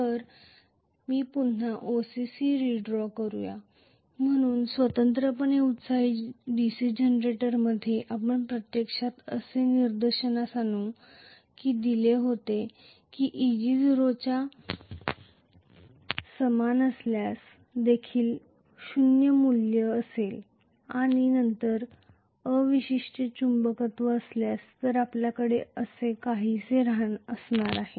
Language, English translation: Marathi, So, let me again redraw the OCC, so in separately excited DC Generator we were actually pointing out that Eg will be having a non zero value even with if equal to 0 and then we are if there is residual magnetism, of course, and then we are going to have it somewhat like this